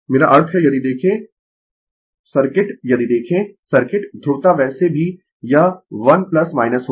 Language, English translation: Hindi, I mean if you look into the circuit if you look into the circuit polarity will be anyway this 1 plus minus